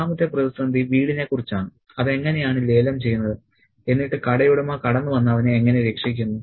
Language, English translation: Malayalam, The second crisis is about the house and how it's being auctioned and the shopkeeper steps in, saves him and, you know, brings him back to the clothes shop